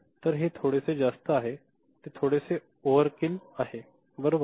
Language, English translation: Marathi, So, this is a bit on the higher side, it is a bit overkill, right